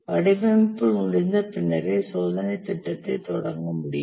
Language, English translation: Tamil, The test plan can start only after the design is complete